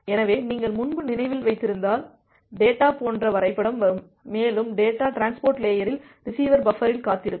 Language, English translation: Tamil, So, if you remember earlier the diagram like the data will come and the data will keep on waiting on the receiver buffer at the transport layer